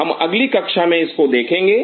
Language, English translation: Hindi, We will follow it up in the next class